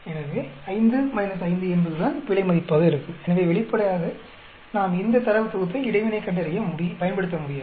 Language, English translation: Tamil, So, 5 minus 5 is what error will be so obviously, we cannot use this data set to find out interaction